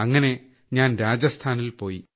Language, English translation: Malayalam, Hence I went to Rajasthan